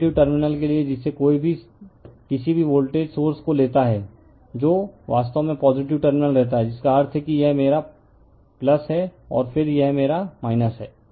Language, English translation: Hindi, For positive terminal that your what you call any take any voltage source that current actually living the positive terminal right that means, this is my plus, and then this is my minus